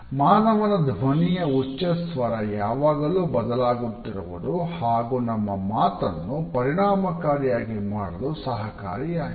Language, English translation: Kannada, The pitch of human voice is continuously variable and it is necessary to make our speech effective